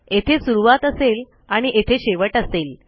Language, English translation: Marathi, So this will be the start and this will be our end